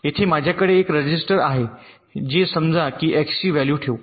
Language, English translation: Marathi, let say here i have a register which is suppose to hold the value of, let say, x